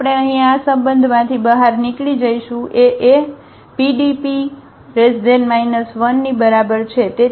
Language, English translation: Gujarati, So, we will get out of this relation here A is equal to PD and P inverse